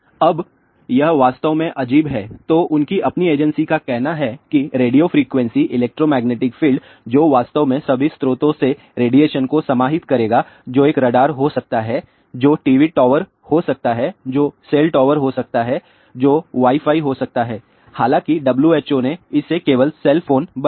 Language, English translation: Hindi, Now, it is really strange then their own agency says radio frequency electromagnetic field which will actually encompass radiation from all sources which can be a radar which can be TV towers, which can be cell towers, which can be a Wi Fi, however, who simply made it only cell phone